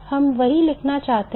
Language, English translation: Hindi, That is what we want to write